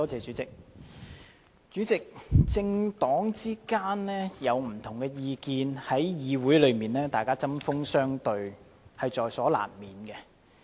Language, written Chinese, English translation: Cantonese, 主席，政黨之間有不同意見，議員在議會中針鋒相對在所難免。, President it is inevitable that political parties have different views and Members engage in heated exchanges in the Council